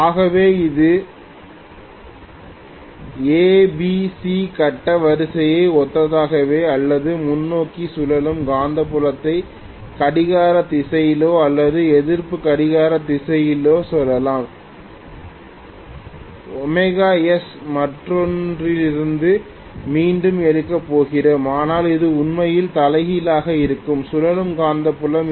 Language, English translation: Tamil, So this is let us say corresponding to ABC phase sequence or forward rotating magnetic field clockwise or anti clockwise and we are going to take the other one again starting from the other omega S, but it is going to actually go like this which is reverse rotating magnetic field